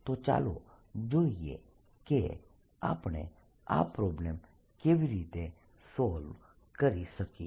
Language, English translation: Gujarati, so let us see how do we solve this problem